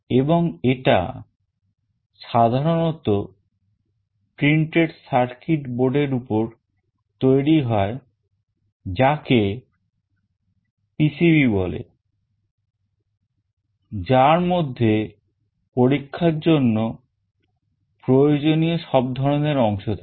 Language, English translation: Bengali, And, it is generally built on a printed circuit board that is called PCB containing all the components that are required for the experimentation